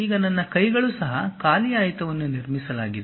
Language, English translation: Kannada, Now, my hands are also empty rectangle has been constructed